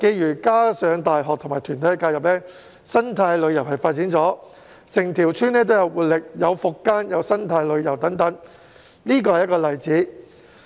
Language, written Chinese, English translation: Cantonese, 再加上大學和團體介入，在當地發展生態旅遊，整條村變得更有活力，並發展復耕和生態旅遊等，這是一個例子。, With the help of some universities and organizations the village has developed ecotourism and become more vibrant with agricultural land rehabilitation and ecotourism . This is a good example